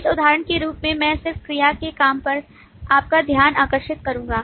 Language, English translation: Hindi, As an example, I would just draw your attention to the verb work